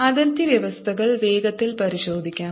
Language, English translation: Malayalam, let's check the boundary conditions quickly